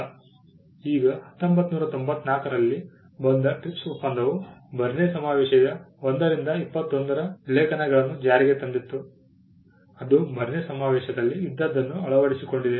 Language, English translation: Kannada, Now, the TRIPS agreement which came in 1994 implemented articles 1 to 21 of the Berne convention; it just adopted what was there in the Berne convention